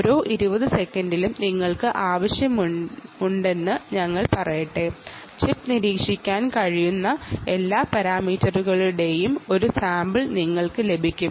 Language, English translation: Malayalam, this is every twenty seconds you will get a sample of all the parameters that the chip can monitor